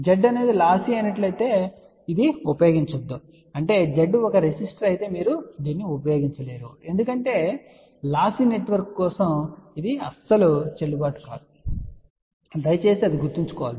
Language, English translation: Telugu, Please do not use this particular concept if Z is lossy that means, if Z is a resistor you cannot use this particular thing because for lossy network this is not at all valid, ok